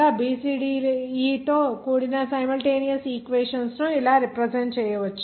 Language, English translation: Telugu, The simultaneous equations involving a b c d e can be represented as